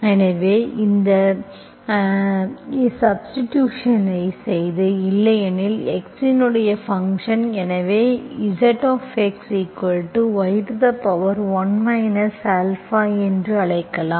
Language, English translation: Tamil, So let us make this substitution, let, otherwise the function of x, so let we call this z of x as a function of y power one minus Alpha